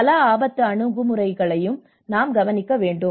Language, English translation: Tamil, So now we have to look at the multi hazard approach as well